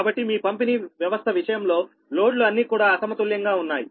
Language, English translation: Telugu, so your distribution system, in that case, that is, each uh, your loads are not balanced